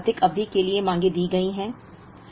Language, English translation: Hindi, The demands are now given over 12 periods